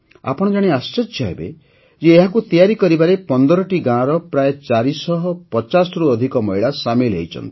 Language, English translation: Odia, You will be surprised to know that more than 450 women from 15 villages are involved in weaving them